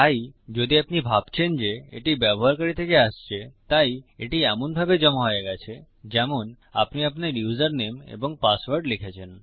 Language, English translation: Bengali, So if you imagine these are coming from the user so it has been submitted as you typed your username and password in